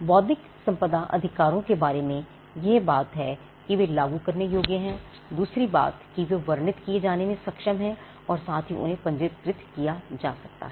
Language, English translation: Hindi, So, that is the second part the first thing about intellectual property rights is that they are enforceable the second thing they are capable of being described and concomitantly being registered so that is the second part